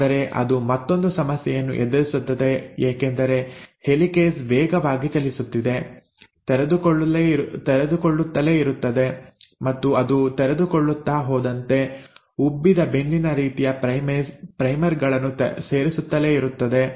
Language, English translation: Kannada, But there is another problem it encounters because the helicase is moving faster, keeps on unwinding and as it keeps on unwinding the piggy backed primase keeps on adding primers